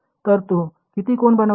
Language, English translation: Marathi, So, what is the angle it makes